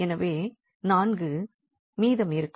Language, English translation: Tamil, So, the 4 will remain